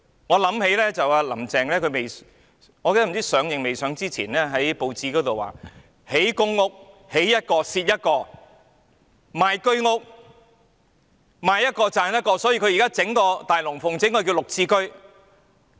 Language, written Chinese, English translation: Cantonese, 我想起"林鄭"——我忘記是她上任前或上任後——曾在報章表示，興建公屋，建一個蝕一個；賣居屋，賣一個賺一個，所以現在要上演一場"大龍鳳"，推出"綠置居"。, I recall that Carrie LAM―I forget whether it was before or after she took office―said in the newspaper that every PRH flat constructed would lead to a loss but every Home Ownership Scheme flat sold will bring a gain . Therefore she now has to stage a big show for the sake of launching GSH